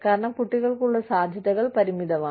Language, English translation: Malayalam, Because, the prospects for children, are limited